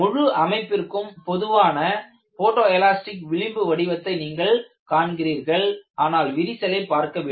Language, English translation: Tamil, And you see the typical photo elastic fringe pattern for the whole system; you are not seeing for the crack